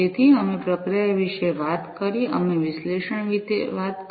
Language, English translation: Gujarati, So, we talked about processing, we talked about analytics